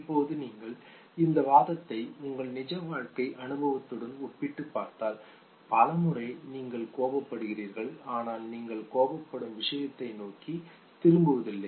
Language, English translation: Tamil, Now if you evaluate this argument with your real life experience many times you get angry, but you do not revert back to the source of anger okay